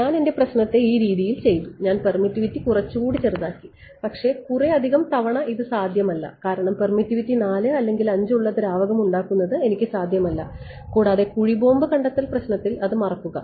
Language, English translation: Malayalam, So, my problem has become lesser I have mapped it sort of this problem I made the permittivity smaller ok, but many times this is not going to be possible because I cannot produce at will a liquid which has permittivity 4 or 5 hardly it reveal right, moreover in the landmine detection problem, forget it